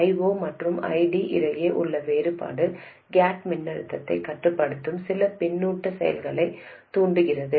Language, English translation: Tamil, The difference between I 0 and ID triggers some feedback action that controls the gate voltage